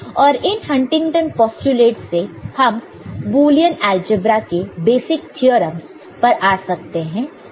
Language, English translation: Hindi, So, as I said Huntington postulates form the you know, basic premise of this Boolean algebra